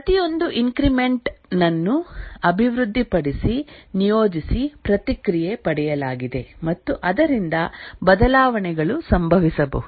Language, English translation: Kannada, Each increment is developed, deployed, feedback obtained and changes can happen